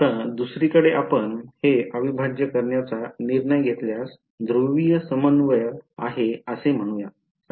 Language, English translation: Marathi, Now on the other hand if you decided to do this integral using let us say polar coordinates right